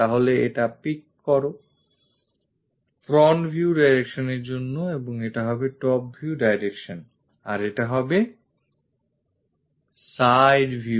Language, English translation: Bengali, So, pick this one, pick this one for the front view direction and this will be top view direction and this one will be side view direction